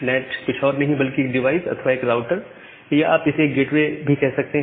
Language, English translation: Hindi, So, NAT is nothing, but a device a router or a gateway whatever you call it